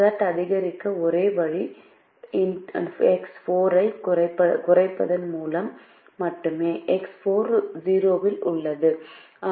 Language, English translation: Tamil, the only way by which we can increase z through x four is by decreasing x four, because x four is at zero